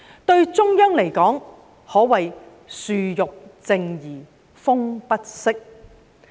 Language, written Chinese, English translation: Cantonese, 對中央來說，可謂樹欲靜而風不息。, To the Central Authorities they may long for calmness but the wind will not subside